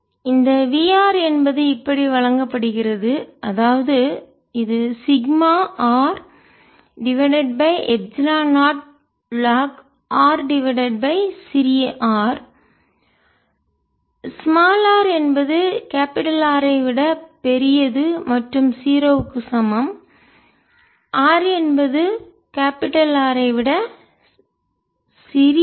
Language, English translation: Tamil, r is given by this: is sigma r over epsilon, not i lined vector a lined are over smaller, for r is greater than capital r and equal to zero, for r is smaller than capital r